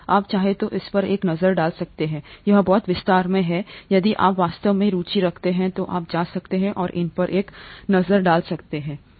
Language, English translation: Hindi, If you want you can take a look at it, it’s a lot of detail, if you’re really interested you can go and take a look at this